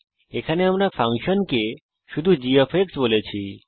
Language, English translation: Bengali, here we just call the function g